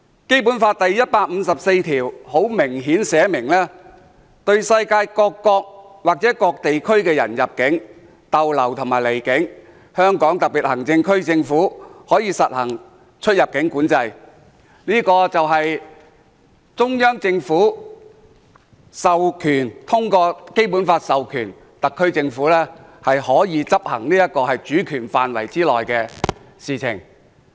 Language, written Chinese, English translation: Cantonese, 《基本法》第一百五十四條寫明，對世界各國或各地區的人入境、逗留和離境，香港特別行政區政府可以實行出入境管制，這就是中央政府通過《基本法》授權特區政府執行其主權範圍內的事情。, Article 154 of the Basic Law provides that the Hong Kong SAR Government may apply immigration controls on entry into stay in and departure from the Region by persons from foreign states and regions . This is within the ambit of the SAR Governments sovereignty conferred on it by the Central Government through the Basic Law